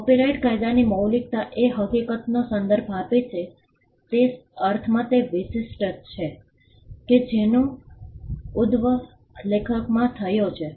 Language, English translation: Gujarati, In copyright law originality refers to the fact that it is unique in the sense that it originated from the author